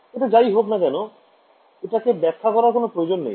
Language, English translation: Bengali, So, whatever it is we do not need to specify it